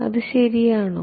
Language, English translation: Malayalam, Is that fine